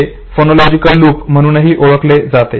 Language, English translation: Marathi, It is also known as phonological loop